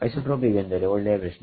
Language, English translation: Kannada, Isotropic means good question